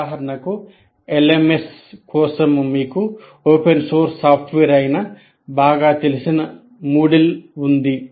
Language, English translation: Telugu, Take for example LMS, you have the well known Moodle which is an open source